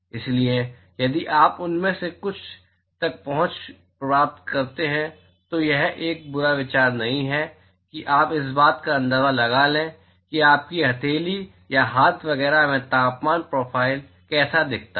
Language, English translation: Hindi, So, if you get an access to some of them it is not a bad idea to just sort of a get an idea of how the temperature profile looks in your palm or in hand etcetera